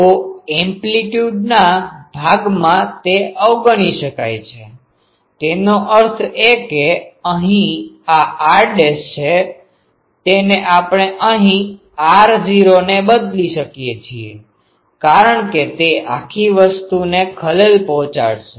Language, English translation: Gujarati, So, that can be neglected in the amplitude part so; that means, a here this r dashed that we can um replace by r not here because that will disturb the whole thing